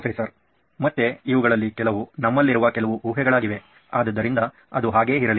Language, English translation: Kannada, Again some of these are some assumptions that we have, so let it be that way